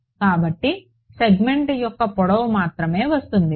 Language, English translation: Telugu, So, just the length of the segment will come